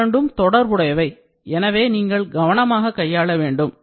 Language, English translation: Tamil, So, these two are interrelated, so you should be careful